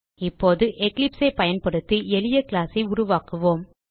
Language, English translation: Tamil, Now let us create a simple class using Eclipse